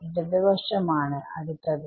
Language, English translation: Malayalam, Left hand side